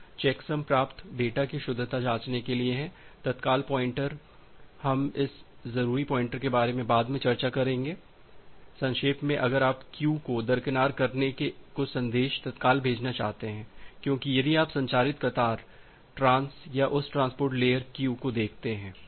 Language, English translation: Hindi, Certain checksum to check that the correctness of the received data, urgent pointer we will discuss about this urgent pointer later on; in brief like if you want to send some message urgently by bypassing the queue, because if you look into the transmit queue, trans or that transport layer queue